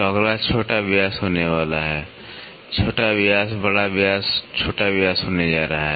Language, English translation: Hindi, So, next one is going to be minor diameter; minor diameter is going to be major diameter minor diameter